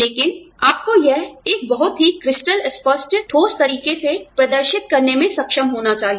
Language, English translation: Hindi, But, you have to be able to demonstrate that in a, in a very crystal clear, convincing manner